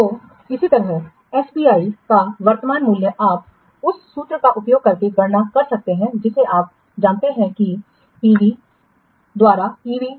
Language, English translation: Hindi, So similarly the current value of SPI you can calculate by using the formula, you know what e v by pv